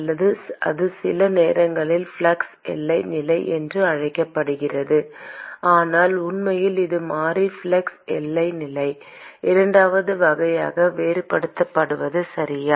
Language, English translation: Tamil, Or it sometimes is simply called as flux boundary condition; but really it is variable flux boundary condition just to distinguish between the second type, okay